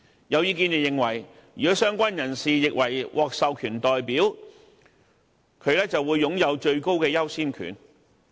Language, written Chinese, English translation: Cantonese, 有意見認為，如果相關人士獲認為是獲授權代表便會擁有最高的優先權。, Some people are of the view that if a related person is considered as an authorized representative the claim will have the highest priority